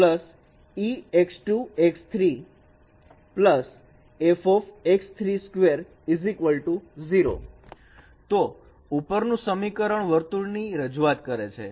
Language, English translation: Gujarati, So this is a representation of a circle